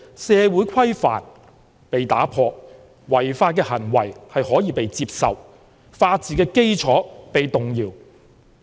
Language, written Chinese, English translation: Cantonese, 是社會規範被打破，違法行為可以被接受，法治基礎被動搖。, The challenges are the breakdown of social norm and the acceptance of illegal acts thereby shaking the foundation of the rule of law